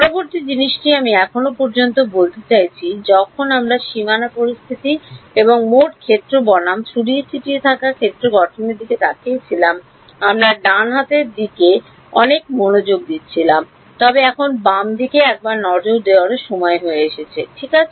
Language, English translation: Bengali, The next thing is I mean so far when we looked at the boundary conditions and the total field versus scattered field formulation, we were paying a lot of attention to the right hand side, but now it is time to also take a look at the left hand side right